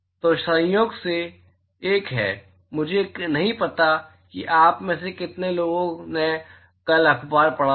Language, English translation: Hindi, So, incidentally there is a, I do not know how many of you read the newspaper yesterday